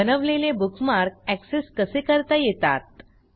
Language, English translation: Marathi, How can you access the bookmarks you create